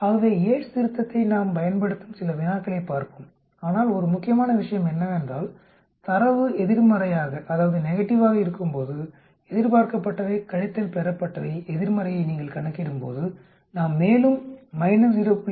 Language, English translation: Tamil, So we will look at some problems where we use Yate's correction, but one important point is when the data is negative that is when you calculate expected minus observed negative we cannot further subtract from minus 0